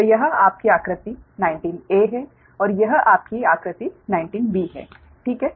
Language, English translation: Hindi, so this is your figure nineteen a and this is your figure nineteen b, right